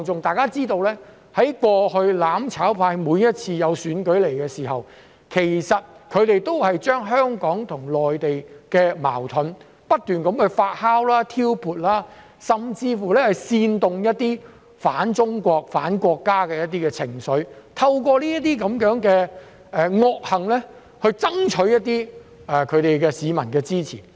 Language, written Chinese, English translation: Cantonese, 大家知道，過去每次舉行選舉時，"攬炒派"都會將香港和內地的矛盾不斷發酵和挑撥，甚至煽動一些反中國、反國家的情緒，透過這些惡行爭取市民的支持。, As we know each time an election was held the mutual destruction camp would incessantly instigate and brew conflicts between Hong Kong and the Mainland and even incite some anti - China and anti - national sentiments to win the support of the public through such vicious acts